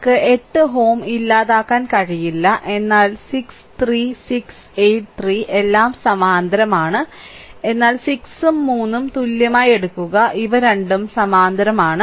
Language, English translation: Malayalam, So, we cannot a your eliminate 8 ohm, but 6 and 3, 6, 8, 3 all are in parallel, but take the equivalent of 6 and 3 these two are in parallel